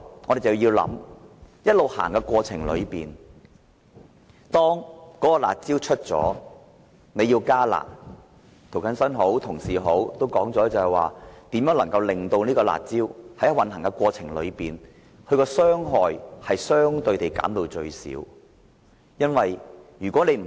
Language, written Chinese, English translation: Cantonese, 我們也要考慮，如果在"辣招"推出後要加"辣"，正如涂謹申議員及其他同事所說，怎能在推出"辣招"的過程中，把其傷害相對地減至最少？, Also we have to consider as Mr James TO and other colleagues have said if there is a need to enhance the curb measures after implementation how can we minimize the negative impact that may occur in the course of implementation?